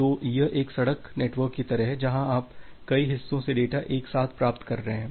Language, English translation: Hindi, So, it is just like a road network that you are getting data from multiple parts all together